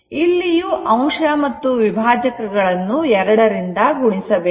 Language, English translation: Kannada, So, here also numerator and denominator you multiply by 2